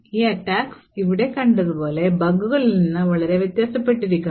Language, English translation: Malayalam, So, these attacks differ quite considerably from the bugs like what we have seen over here